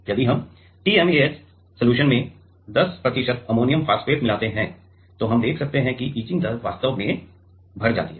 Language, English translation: Hindi, If we add 10 percent of ammonium phosphate in TMAH etching in the TMAH solution then, we can see that the etch rate actually increases right